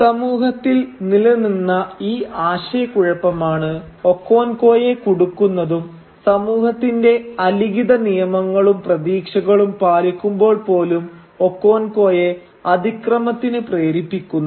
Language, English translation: Malayalam, And it is this internal conflict that is there within the society which traps Okonkwo and makes him commit a transgression even while actually abiding by the unwritten laws or expectations of the society